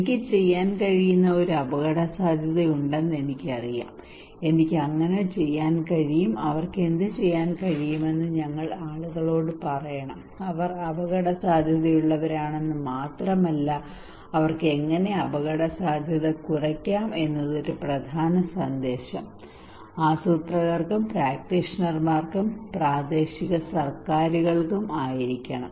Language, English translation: Malayalam, I know there is a risk what I can do so we should tell people what they can do it is not only they are at risk but how they can reduce the risk is an important message of should be for the planners and for the practitioners and for the local governments okay